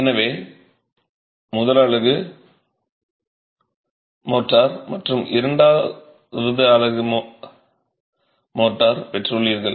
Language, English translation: Tamil, So, you've got the first unit, motor and the second unit